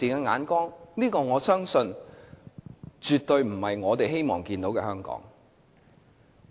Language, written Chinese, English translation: Cantonese, 我相信這絕對不是我們希望看到的香港。, I believe this is definitely not what we wish to see in Hong Kong